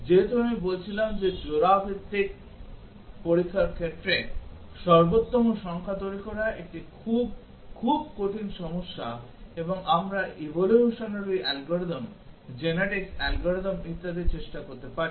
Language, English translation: Bengali, As I was saying that generating the optimum number of pair wise test cases is a very, very hard problem and we can try out evolutionary algorithms, genetic algorithms and so on